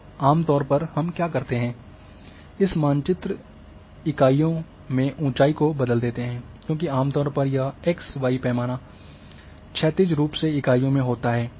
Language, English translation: Hindi, So generally what we do, we will change the elevation to the mapping units, because this x y scale horizontally scale is generally in mapping units